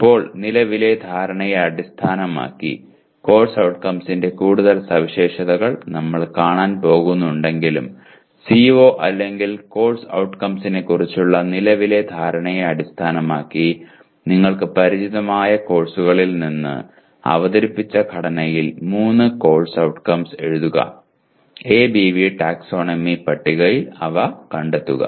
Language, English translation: Malayalam, Now, based on the current understanding, though we are going to look at many more features of course outcomes, based on the present understanding of the CO or course outcome, write three course outcomes in the structure presented from the courses you are familiar with and locate them in ABV taxonomy table